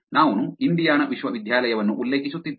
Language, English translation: Kannada, I was referring to Indiana university